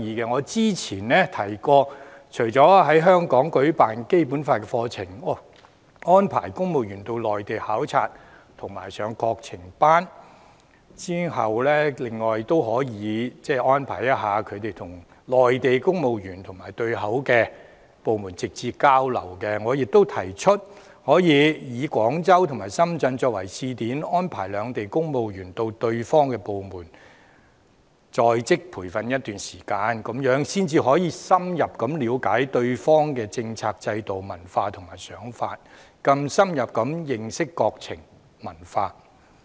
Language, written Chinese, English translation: Cantonese, 我早前曾提到，除了在香港舉辦《基本法》課程、安排公務員往內地考察及參加國情班外，亦可以安排公務員與內地公務員及對口部門直接交流；我亦提出可以廣州和深圳作為試點，安排兩地公務員到對方的部門進行在職培訓一段時間，這樣才能深入了解對方的政策、制度、文化和想法，更深入認識國情文化。, As I mentioned earlier apart from organizing the Basic Law courses in Hong Kong as well as arranging visits to the Mainland and the Course on National Affairs for civil servants arrangements for direct exchanges can also be made between Hong Kong civil servants and Mainland civil servants or the counterpart departments . I also suggest that we can first start with Guangzhou and Shenzhen on a pilot basis and civil servants from each side will be attached to the government departments of the other side for on - the - job training for a period of time with a view to getting an in - depth understanding of each others policies systems culture and ideas and a more profound understanding of the nations affairs and culture